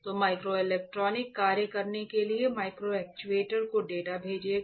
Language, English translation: Hindi, So, microelectronics will send the data to the microactuator to actuate alright